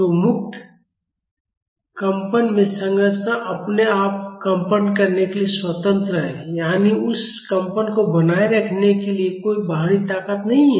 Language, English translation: Hindi, So, in free vibration the structure is free to vibrate on its own; that means, no external force is there to maintain that vibration